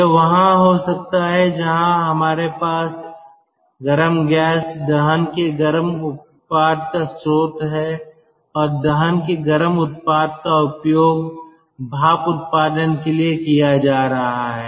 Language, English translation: Hindi, it could be there where we get a source of i mean, we have a source of hot ah gas, hot product of combustion, and that hot product of combustion is being used for steam generation